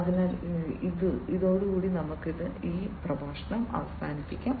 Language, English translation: Malayalam, So, with this we will come to an end